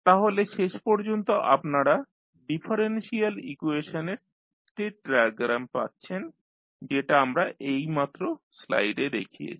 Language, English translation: Bengali, So, finally you get the state diagram for the differential equation which we just shown in the slide